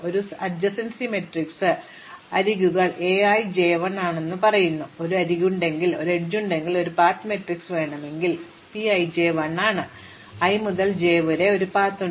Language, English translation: Malayalam, So, we have an adjacency matrix A, which tells as the edges A i j is 1, if there is an edge and we want a path matrix P i j is a 1, there is a path from i to j